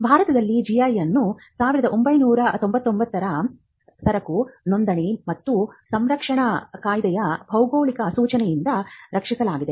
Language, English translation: Kannada, GI in India is protected by geographical indication of goods registration and protection Act of 1999